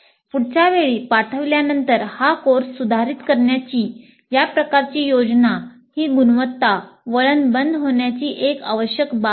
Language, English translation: Marathi, And thus this kind of plan for improving the course the next time it is delivered is an essential aspect of the closer of the quality loop